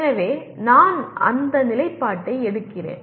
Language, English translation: Tamil, So I take that position